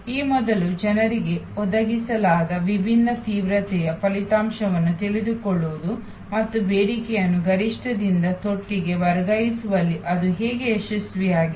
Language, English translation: Kannada, Knowing the result of different intensive that have been provided people before and how it was successful in shifting demand from peak to trough